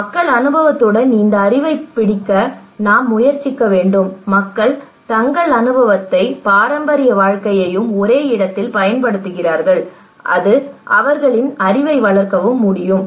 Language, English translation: Tamil, So we should try to grab that knowledge people experience, people use their experience and their traditional living with the same place that develop a knowledge and that that can even